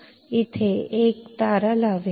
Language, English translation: Marathi, So, I will put a star here